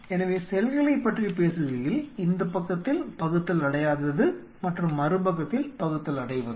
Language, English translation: Tamil, So, talking about the cells Non dividing and this side and Dividing on other side